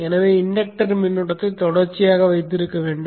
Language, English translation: Tamil, Therefore one has to keep the inductor current continuous